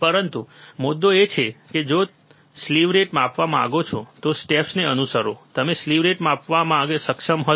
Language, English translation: Gujarati, But the point is, you if you want to measure slew rate follow the steps and you will be able to measure the slew rate